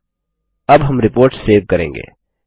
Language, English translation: Hindi, And, now, we will save the report